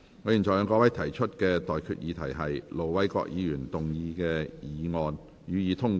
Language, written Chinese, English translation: Cantonese, 我現在向各位提出的待決議題是：盧偉國議員動議的議案，予以通過。, I now put the question to you and that is That the motion moved by Ir Dr LO Wai - kwok be passed